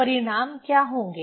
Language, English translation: Hindi, So, this the result